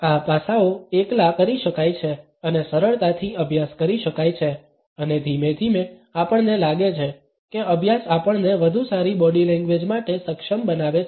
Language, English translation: Gujarati, These aspects can be singled out and can be practiced easily and gradually we find that practice enables us to have a better body language